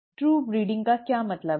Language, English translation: Hindi, What does true breeding mean